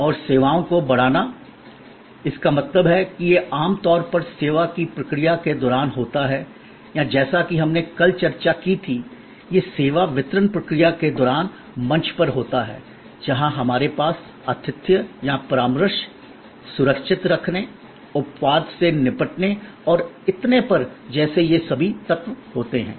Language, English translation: Hindi, And enhancing services; that means it happens usually during the process of service or as we discussed yesterday, it happens on stage during the service delivery process, where we have all these elements like hospitality or consultation, safe keeping, exception handling and so on